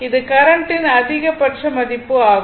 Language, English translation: Tamil, This is the maximum value of the current